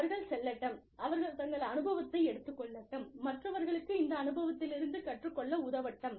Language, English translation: Tamil, Let them go, let them take their experience, and let them help the others, learn from this experience